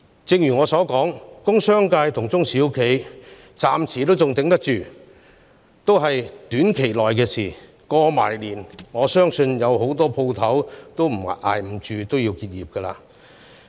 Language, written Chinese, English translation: Cantonese, 正如我之前所言，工商界和中小企暫時仍能支撐着，但這只是短暫的，在農曆新年後，我相信不少店鋪也無法繼續支撐下去而結業。, As I have said before the industrial and commercial sector and SMEs can still hold on for the time being but this will not last for long . I believe that after the Lunar New Year many shops will not be able to survive and may have to close down